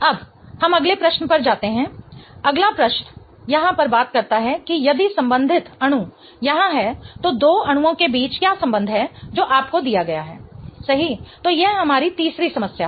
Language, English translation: Hindi, The next question here really talks about if the corresponding molecule, what is the relationship between the two molecules that are given to you, right